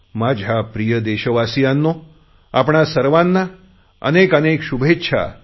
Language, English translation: Marathi, My dear fellow citizens, my heartiest best wishes to you all